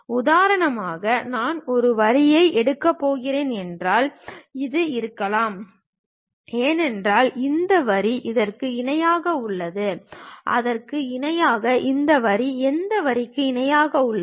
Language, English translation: Tamil, For example, if I am going to pick a line maybe this one; because this line is parallel to this one is parallel to that, similarly this line parallel to this line